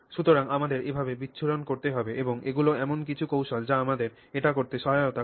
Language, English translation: Bengali, So, that's the way we would have to handle dispersion and these are some techniques that help us do it